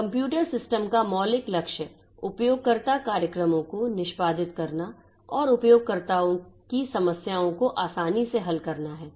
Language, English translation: Hindi, Fundamental goal of computer systems is to execute user programs and to make solving user problems easier